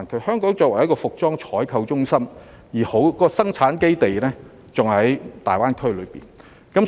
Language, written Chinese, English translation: Cantonese, 香港作為一個服裝採購中心，生產基地還在大灣區。, As a fashion sale centre Hong Kong still has its production base stationed in GBA